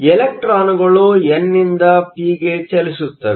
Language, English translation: Kannada, Electrons move from the n to the p